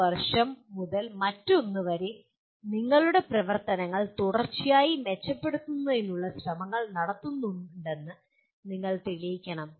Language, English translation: Malayalam, You have to demonstrate that from one year to the other you are making efforts to continuously improve your activities